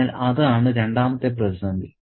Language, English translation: Malayalam, So, that is the second crisis